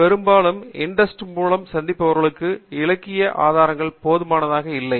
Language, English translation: Tamil, Very often the literature sources that are subscribed by INDEST are not adequate